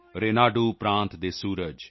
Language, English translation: Punjabi, The Sun of Renadu State,